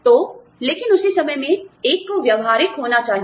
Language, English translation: Hindi, So, but at the same time, one has to be practical